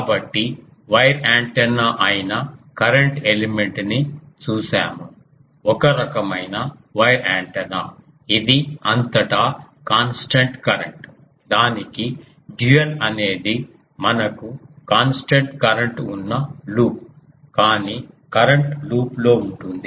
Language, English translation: Telugu, So, we have seen current element which is a wire antenna; a type of wire antenna which is constant current throughout that the dual to that is a loop where we have constant current, but current is in a loop